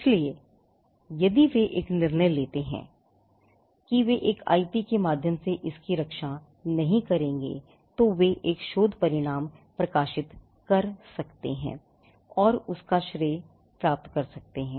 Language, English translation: Hindi, So, if they take a call that they will not protect it by way of an IP, then they can publish the result research results and get the credit for the same